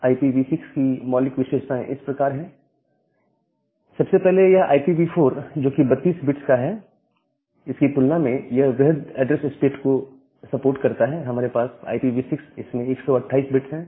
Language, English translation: Hindi, So, the basic features of IPv6 are as follows: First of all it supports a larger class of address space compared to 32 bit address in IPv4; we have 128 bit addresses space in IPv6